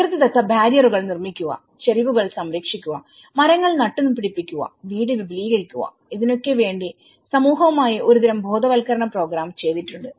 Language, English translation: Malayalam, Construction of natural barriers, protecting slopes, planting trees and extending the house you know, some kind of awareness has been programmed with the community